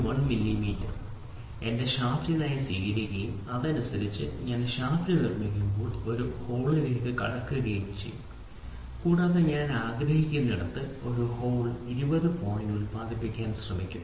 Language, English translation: Malayalam, 1 millimeter is accepted for my shaft and correspondingly when I produce this shaft will get into a hole I will also try to produce a hole 20 point something where I will try to say this whole can be produced 20